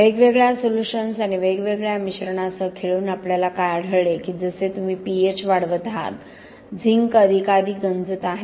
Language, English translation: Marathi, What we did find, by playing around with different solutions and different mixtures that as you increase the pH, zinc was corroding more and more